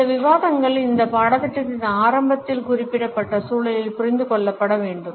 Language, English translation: Tamil, These discussions have to be understood in the context which has been specified in the very beginning of this course